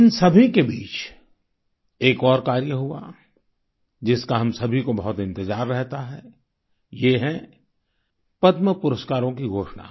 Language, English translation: Hindi, Amidst all of this, there was one more happening that is keenly awaited by all of us that is the announcement of the Padma Awards